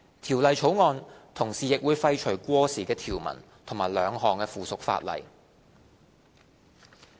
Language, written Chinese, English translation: Cantonese, 《條例草案》同時亦會廢除過時的條文和兩項附屬法例。, The Bill also seeks to remove obsolete provisions and repeal two items of subsidiary legislation